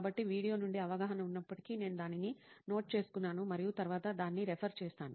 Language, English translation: Telugu, So whatever the insights from the video, I used to note it down and then refer it later